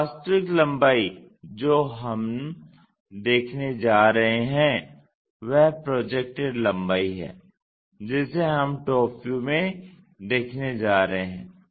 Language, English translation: Hindi, So, the actual length what we are going to see is this projected length, that is we are going to see it in a top view